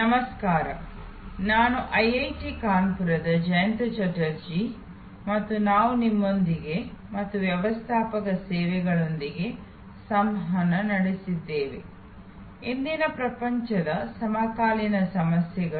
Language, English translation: Kannada, Hello, I am Jayanta Chatterjee of IIT Kanpur and we are interacting with you and Managing Services, contemporary issues in today's world